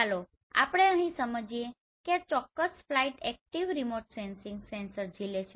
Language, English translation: Gujarati, Here let us understand this particular flight is carrying a active remote sensing sensor